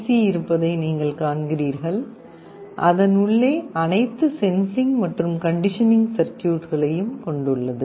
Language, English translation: Tamil, You see here there is a small IC that has all the sensing and conditioning circuitry inside it